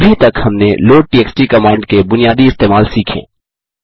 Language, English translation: Hindi, Till now, we have learnt the basic use of the load txt command